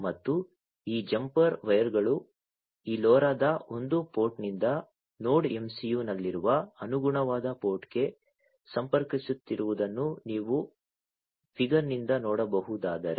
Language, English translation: Kannada, And these jumper wires if you can see from the figure are connecting from one port of this LoRa to the corresponding port in the Node MCU